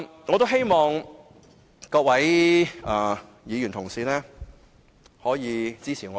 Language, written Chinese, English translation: Cantonese, 我希望各位議員可以支持我的議案。, I hope that all Members will support my motion